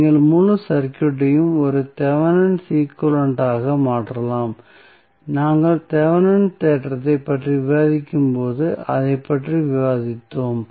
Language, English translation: Tamil, So, what you can do you can replace the whole circuit as a Thevenin equivalent that that is what we discuss when we discuss the Thevenin theorem